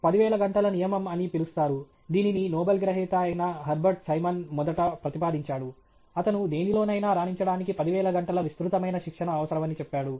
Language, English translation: Telugu, There’s something called the 10,000 hour rule, which was first proposed by Herbert Simon, who is a Nobel Laureate, who says, who said that it takes 10,000 hours of extensive training to excel in anything